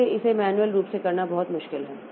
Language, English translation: Hindi, So, it is very difficult to do it manually